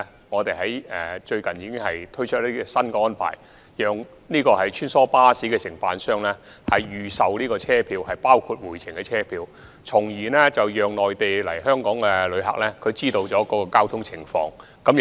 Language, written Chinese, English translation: Cantonese, 我們最近已推出新安排，讓穿梭巴士承辦商預售團體車票，包括回程車票，以便內地來港旅客知悉有關交通情況。, We have introduced a new arrangement enabling the presale of group tickets by the shuttle bus operator including return tickets so that inbound Mainland visitors may get to know the transport condition